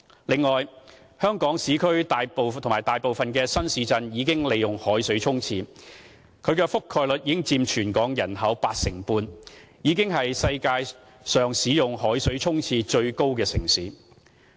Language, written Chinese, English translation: Cantonese, 此外，香港市區和大部分新市鎮已利用海水沖廁，其覆蓋率佔全港人口約 85%， 已經是世界上海水沖廁使用率最高的城市。, In addition we have been using seawater for toilet flushing in Hong Kongs urban areas and most of the new towns covering about 85 % of the population so we are the city with the highest utilization rate of seawater for toilet flushing in the world